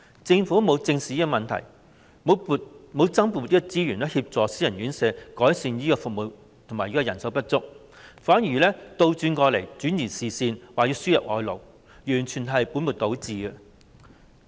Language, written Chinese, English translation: Cantonese, 政府沒有正視這問題，沒有增撥資源協助私營院舍改善服務和解決人手不足問題，反而轉移視線，提出輸入外勞，這完全是本末倒置的。, The Government has not taken this problem seriously in that it does not allocate additional resources to help private homes improve their services and solve the problem of manpower shortage . Instead it has tried to divert our attention by proposing the importation of labour . This is a typical case of putting the cart before the horse